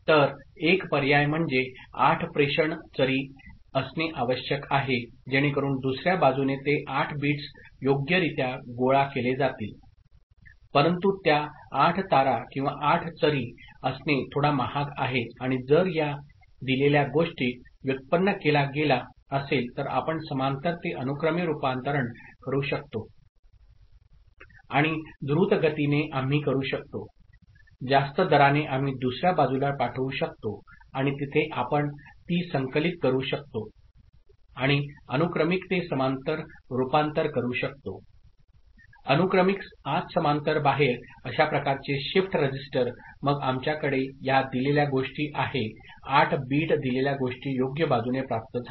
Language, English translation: Marathi, So, one option is to have 8 transmission channels ok, so that at the other side those 8 bits will be appropriately collected, but having those 8 wires or 8 channels is a bit costly and if the data rate with which this is generated is such that we can make a parallel to serial conversion and quickly we can at a higher rate, we can send it to the other side and there we can collect it and convert through a serial to parallel conversion, serial input to parallel output that kind of a shift register – then, we have a this data 8 bit data appropriately received at the other side